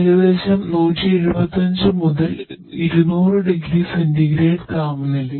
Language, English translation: Malayalam, Which temperature is around 175 to 200 degree centigrade